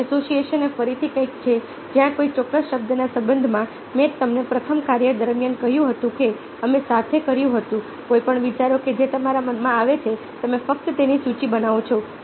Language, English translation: Gujarati, free association is a again something where, in relation to a particular word, as i have told you, doing the first task with did together, any ideas that you comes to comes to your mind